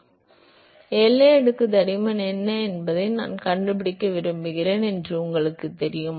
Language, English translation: Tamil, So, what is the definition of boundary layer thickness